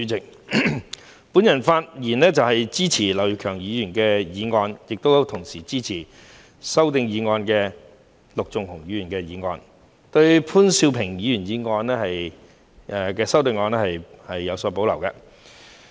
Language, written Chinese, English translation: Cantonese, 主席，我發言支持劉業強議員的議案，同時支持陸頌雄議員提出的修正案，對於潘兆平議員的修正案則有所保留。, President I speak in support of Mr Kenneth LAUs motion and the amendment proposed by Mr LUK Chung - hung . However I have reservations about Mr POON Siu - pings amendment